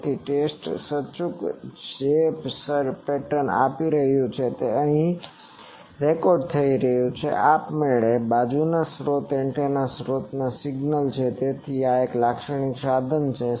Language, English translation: Gujarati, So, test indicator is giving in the pattern is getting recorded here automatically this side is source antenna source signal etc, so this is a typical instrumentation